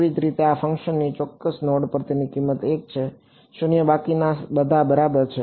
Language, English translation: Gujarati, Similarly this function has its value 1 at a certain node, 0 everyone else ok